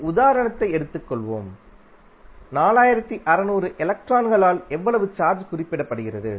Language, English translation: Tamil, Let us take one example, how much charge is represented by 4600 electrons